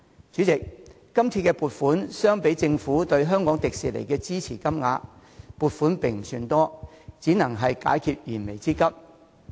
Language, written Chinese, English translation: Cantonese, 主席，相比於政府注資迪士尼的金額，這筆撥款並不算多，只能解決燃眉之急。, Chairman when compared with the amount of capital injection into Disney by the Government this sum is not a huge one and it is the only means to help the theme park meet its imminent needs